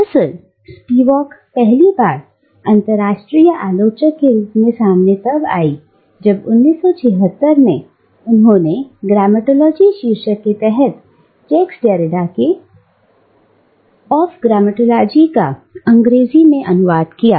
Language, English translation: Hindi, Indeed, Spivak first came to international limelight, as a critic, when in 1976 she published an English translation of Jacques Derrida’s "Grammatology" under the title "Of Grammatology"